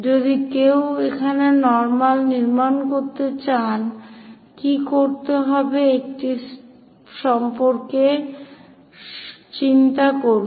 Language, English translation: Bengali, If one would like to construct normal here, what to be done, think about it